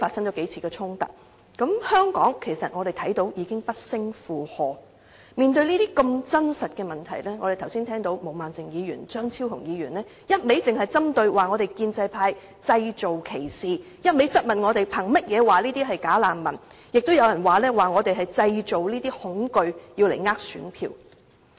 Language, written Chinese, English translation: Cantonese, 我們看到香港已經不勝負荷，面對如此真實的問題，我們剛才聽到毛孟靜議員和張超雄議員只一味針對建制派，指我們製造歧視，又質問我們憑甚麼說這些人是"假難民"，亦有人指我們是在製造恐懼，是想騙選票。, As we can see Hong Kong is already overburdened by this problem . We are faced with such a real problem but just now Ms Claudia MO and Dr Fernando CHEUNG only kept picking on the pro - establishment camp accusing us of fomenting discrimination and questioning us about our basis of describing such people as bogus refugees . Some other Members also accuse us of stirring up panic with the intention of deceiving electors to get their support